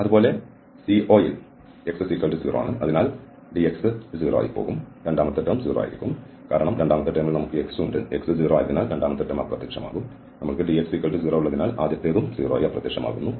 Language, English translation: Malayalam, Similarly, along the CO, where x is 0, so the dx term will be 0 and the second term will be also 0, because in the second term, we have this x and since x is 0, the second term will also vanish and the first will vanish because we have dx there